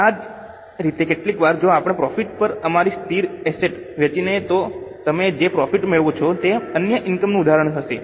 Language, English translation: Gujarati, Same way, sometimes if we sell our fixed asset at profit, then the profit which you generate will be an example of other income